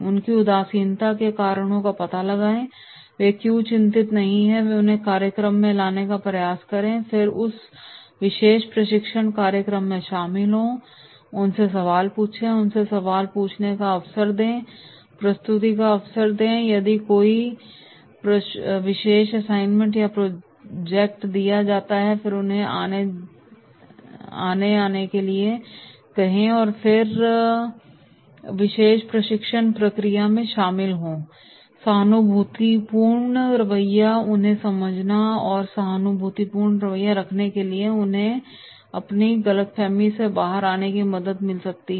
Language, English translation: Hindi, Find out the reasons for their apathy, why they are not concerned and make an effort to bring them into the program and then getting involved into that particular training program, asking them questions, giving opportunity to them to ask the questions, giving opportunity for presentation if there is any particular assignment or project is given and then ask them to come forward and then they get involved into this particular training process